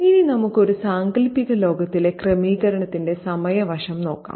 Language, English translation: Malayalam, Now let's look at the time aspect of the setting in a fictional world